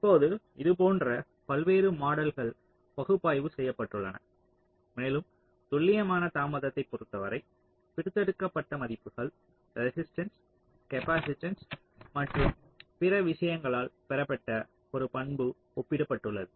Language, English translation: Tamil, now various models like these have been analyzed and with respect to the more accurate delay characteristics which is obtained by extracted values, resistance, capacitance and other things have been compared